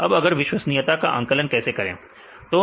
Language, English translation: Hindi, So, now how to estimate the reliability